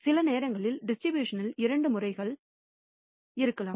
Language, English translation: Tamil, Sometimes distribution may have two modes